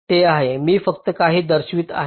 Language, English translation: Marathi, i am just showing a few